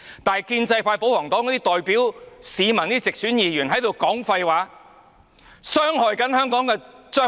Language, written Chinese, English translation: Cantonese, 但是，建制派保皇黨那些代表市民的直選議員，則不應說廢話傷害香港的將來。, However as for those pro - establishment royalist Members returned from direct elections who represent the general public they should not speak such nonsense and undermine the future of Hong Kong